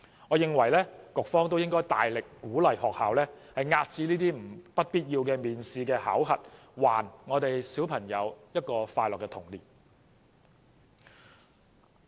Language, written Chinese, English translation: Cantonese, 我認為局長也應大力鼓勵學校遏止不必要的面試和考核，讓每位小朋友都擁有快樂的童年。, In my opinion the Secretary should also vigorously encourage schools to curb unnecessary interviews and appraisals to enable every child to enjoy a happy childhood